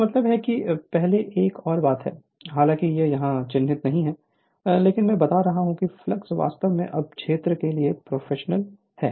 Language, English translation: Hindi, So that means you are another thing before although it is not marked here, but I am telling that flux actually professional to the field current right